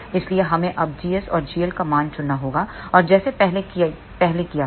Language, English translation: Hindi, So, we have to now choose the value of g s and g l as we did earlier